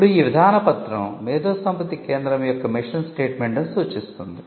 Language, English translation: Telugu, Now, the policy document can spell out the mission statement of the IP centre